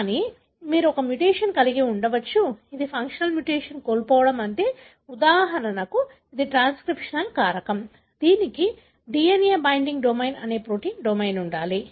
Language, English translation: Telugu, But, you could have a mutation, which is loss of function mutation, meaning, for example it is a transcriptional factor, it should have a protein domain called DNA binding domain